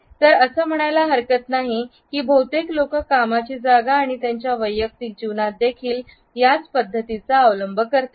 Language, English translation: Marathi, So, to say that the majority of the people follow similar patterns at workplace and in their personal lives also